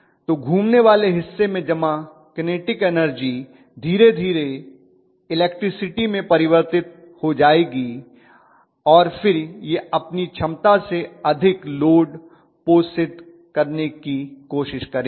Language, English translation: Hindi, So what is going to happen is slowly the kinetic energy that were stored in the rotating parts will be converted into the electricity and then it will try to feed the load more than what it is capable off